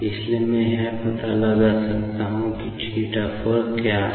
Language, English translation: Hindi, So, I can find out what is theta 4